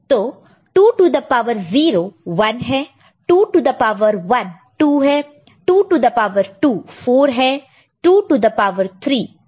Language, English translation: Hindi, So, 2 to the power 0 is 1, 2 to the power 1 is 2, 2 to the power 2 is 4, 2 to the power 3 is 8